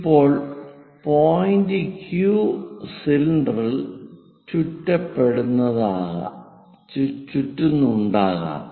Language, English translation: Malayalam, Now, point Q might be getting winded up on the cylinder